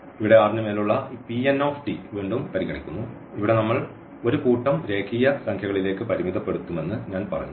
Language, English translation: Malayalam, So, here we are considering this P n t again over R as I said we will be restricting to a set of real number here